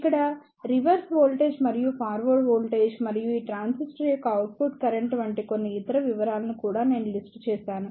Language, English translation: Telugu, Here, I have also listed down few other specifications like reverse voltage and the forward voltage and the output current of these transistor